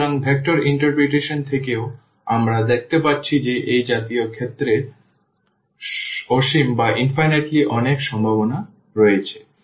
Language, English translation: Bengali, So, from the vector interpretation as well we can see that there are infinitely many solutions in such cases